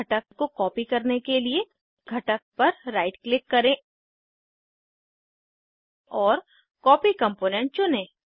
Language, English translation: Hindi, To copy a component, right click on the component and choose Copy Component